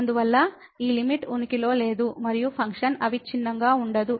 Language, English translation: Telugu, Hence, this limit does not exist and the function is not continuous